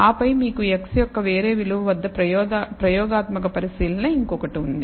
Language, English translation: Telugu, And then you have one more experimental observation at a different value of x